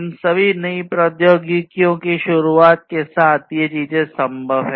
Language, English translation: Hindi, So, all these things are possible with the introduction of all these new technologies